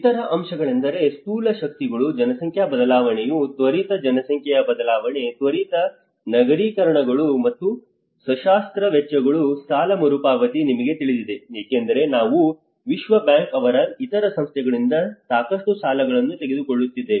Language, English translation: Kannada, The other aspects are the macro forces, the demographic change you know the rapid population change, rapid urbanisations and the amputation expenditure, the debt repayment because we have been taking lot of loans from world bank and other things